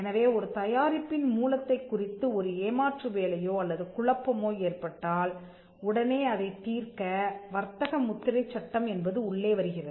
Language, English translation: Tamil, So, if there is a deception or confusion with regard to the source or with regard to the origin trademark law will step in